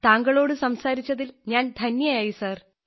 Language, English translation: Malayalam, We are blessed to talk to you sir